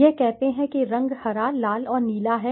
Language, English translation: Hindi, This is let us say color is green, red, and blue